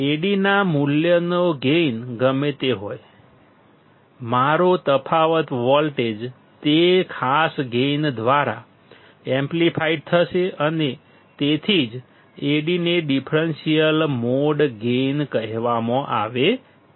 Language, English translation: Gujarati, Whatever is the gain of value of Ad; my difference voltage would be amplified by that particular gain and that is why Ad is called the differential mode gain